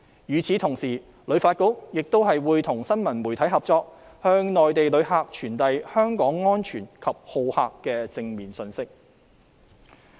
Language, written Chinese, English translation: Cantonese, 與此同時，旅發局亦會與新聞媒體合作，向內地旅客傳遞香港安全及好客的正面信息。, Moreover HKTB will also join hands with news media to promote the positive image of Hong Kong as a safe and friendly place for visiting